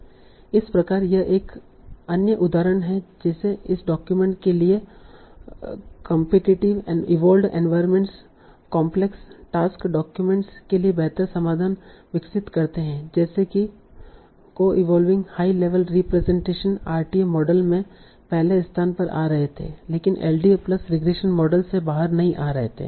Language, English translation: Hindi, So these are other examples like for this document competitive environments evolve better solutions for complex tasks documents like co evolving high level representations were coming out to be at first position in the RTM model but were not coming out from an LDA application model